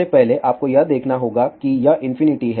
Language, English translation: Hindi, First of all you have to see this this is infinity